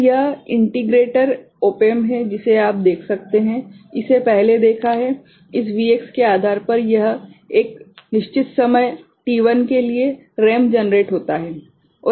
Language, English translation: Hindi, So, this is the integrator op amp that you can see, have seen before so, this depending on this Vx for a fixed time t1, the ramp is generated